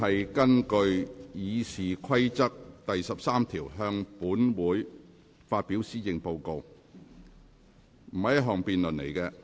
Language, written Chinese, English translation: Cantonese, 行政長官根據《議事規則》第13條向本會發表施政報告並不是一項辯論。, The presentation of the Policy Address by the Chief Executive under Rule 13 of the Rules of Procedure RoP is not a debate